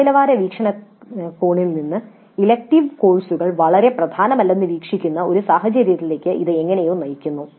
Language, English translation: Malayalam, Now this leads to probably a scenario where the elective courses are somehow looked at as not that very important from the quality perspective